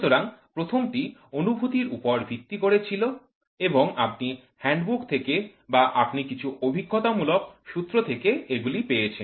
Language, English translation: Bengali, So, the first one was more of intuition and you picked up from the handbook or you picked up from some empirical formulas